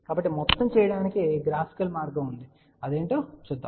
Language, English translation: Telugu, So, there is a graphical way of doing the whole thing and let us see what is that